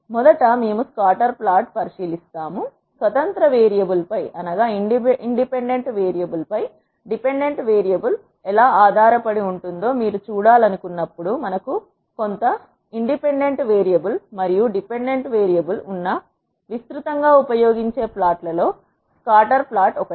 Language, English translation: Telugu, First we will consider scatter plot; scatter plot is one of the most widely used plots where we have some independent variable and dependent variable, when you want to see how a dependent variable is dependent on the independent variable